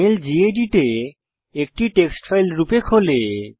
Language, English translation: Bengali, The mail opens in Gedit as a text file